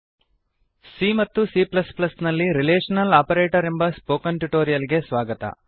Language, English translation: Kannada, Welcome to the spoken tutorial on Relational Operators in C and C++